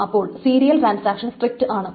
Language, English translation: Malayalam, So there are this serial transactions